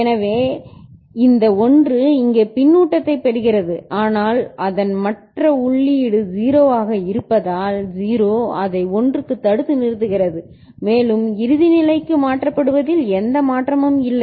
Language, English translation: Tamil, So, this 1 gets fedback here, but the other input of it is 0 so 0 will hold back it to 1 and no further change that gets transferred to the final stage ok